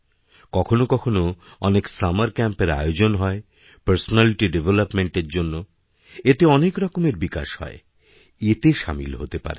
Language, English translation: Bengali, Sometimes there are summer camps, for development of different facets of your personality